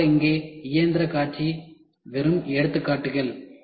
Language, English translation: Tamil, Of course, the machine show here are just examples